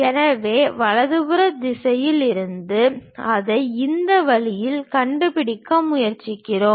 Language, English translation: Tamil, So, from rightward direction we are trying to locate it in this way